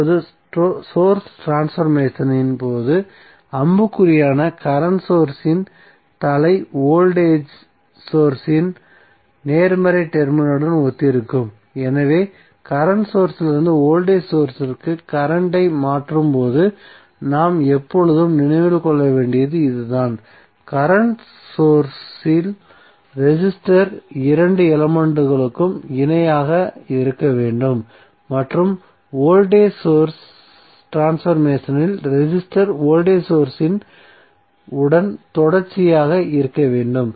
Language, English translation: Tamil, Now, in case of source transformation the head of the current source that is the arrow will correspond to the positive terminal of the voltage source, so this is what we have to always keep in mind while we transforming current to voltage source and source transformation of the current source and resistor requires that the two elements should be in parallel and source transformation voltage source is that resistor should be in series with the voltage source